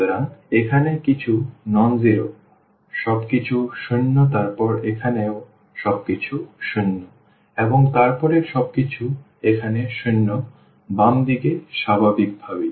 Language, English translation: Bengali, So, here something non zero, everything zero then here also then everything zero and then everything zero here and the left hand side naturally